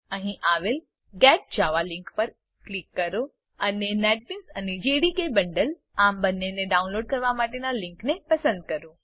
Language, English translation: Gujarati, Click on the Get Java link here and select the link to download both the Netbeans and JDK Bundle